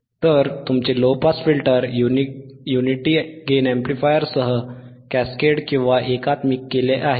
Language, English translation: Marathi, So, your low pass filter is cascaded with unity gain amplifier